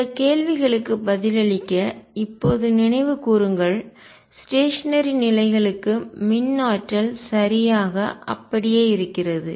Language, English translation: Tamil, Recall now to answer this questions that for stationary states E the energy is conserved right